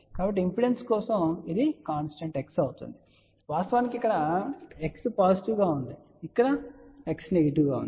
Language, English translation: Telugu, So, for impedance, it will be constant x, of course here x is positive, here x is negative